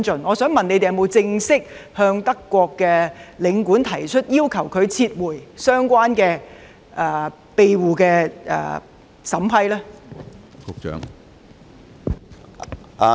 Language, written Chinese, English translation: Cantonese, 我想問當局有否正式向德國領事館提出，要求他們撤回相關庇護的批准呢？, May I ask whether the authorities have made an official request to the German Consulate General Hong Kong for revocation of the approval for asylum?